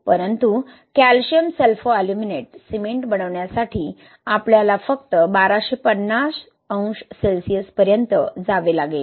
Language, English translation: Marathi, But to make calcium Sulfoaluminate cement, we need to go only to thousand and two fifty degrees Celsius